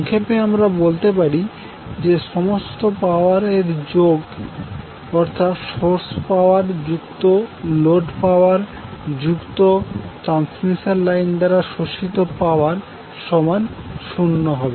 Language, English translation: Bengali, So in a nutshell, what you can say that sum of the total power that is source power plus load power plus power absorbed by the transmission line will be equal to 0